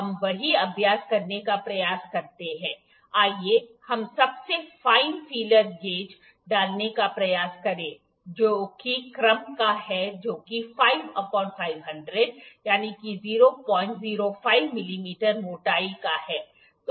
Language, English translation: Hindi, Now let us try to do the same exercise let us try to insert the most fine feeler gauge which is of the order 5 by 100